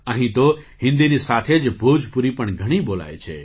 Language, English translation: Gujarati, Bhojpuri is also widely spoken here, along with Hindi